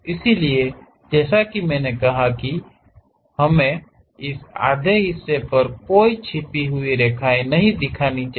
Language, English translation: Hindi, So, as I said we do not, we should not show any hidden lines on this half